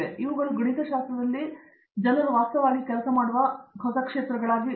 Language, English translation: Kannada, Okay so, these are the newer areas that in mathematics the people work on actually